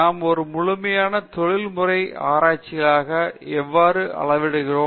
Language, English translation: Tamil, How do we become a fully professional researcher